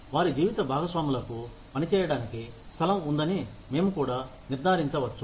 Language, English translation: Telugu, We may also ensure that, their spouses have a place to work